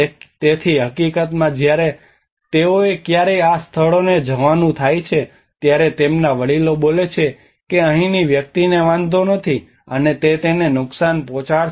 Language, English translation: Gujarati, So in fact when they ever happen to go to these places their elders speak do not mind this person he is from here do not harm him